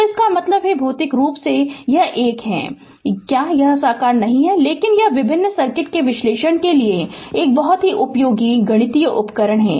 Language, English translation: Hindi, So, that means, physically it is a your what you call; say if it is not your realizable, but it is a very useful mathematical tool right, for analysis of various circuit